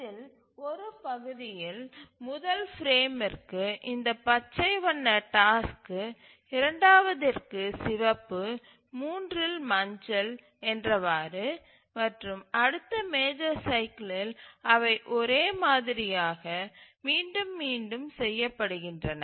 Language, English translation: Tamil, In the major cycle the tasks are assigned to frames let's say this green task to this first frame, a red one to the second, yellow one to the third and so on, and in the next major cycle they are repeated identically